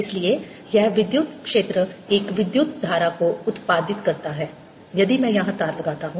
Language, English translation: Hindi, that electric field therefore gives rise to a current if i put a wire here and i should see the effect of that current